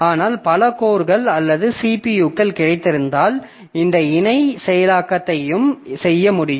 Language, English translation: Tamil, But if I have got multiple codes or multiple CPUs, then I can do this parallel processing also